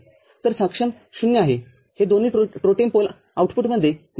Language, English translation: Marathi, So, in enable is 0, both of them are off in the totem pole output